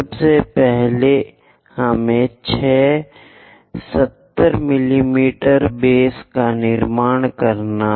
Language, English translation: Hindi, First, we have to construct six 70 mm base